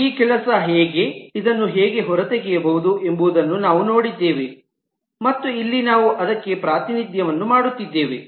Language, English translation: Kannada, and we have seen how this work, how this can be extracted, and here we are just making a representation for that